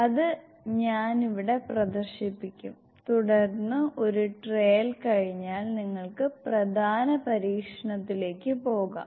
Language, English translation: Malayalam, Which I will, which we will demonstrate here and then once a trial is over then you can pursue to the main experiment